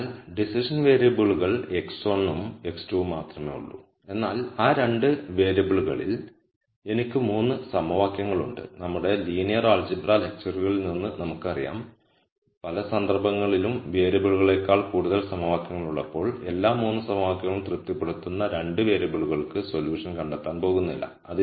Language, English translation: Malayalam, So, there are only decision variables x 1 and x 2, but I have 3 equations in those 2 variables and from our linear algebra lectures we know that when we have more equations than variables in many cases we are not going to find a solution for the 2 variables which will satisfy all the 3 equations